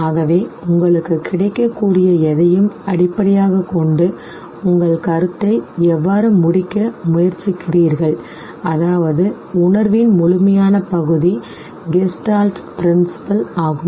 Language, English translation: Tamil, So, how you try to complete your perception based on whatever is available to you, that is that holistic part of the percept is the Gestalt principle